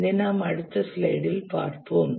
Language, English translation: Tamil, We will look at this in the next slide